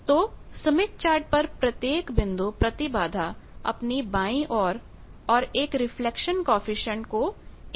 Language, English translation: Hindi, So, each point on smith chart simultaneously represents impedance the left side as well as a reflection coefficient